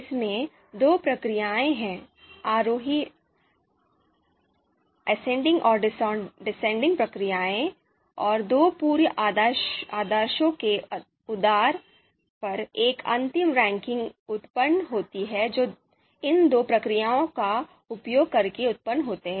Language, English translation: Hindi, So in this we talked about that there are two you know procedures within this, ascending and descending distillation procedures, and a final ranking is generated based on the two pre orders which are generated using these two procedures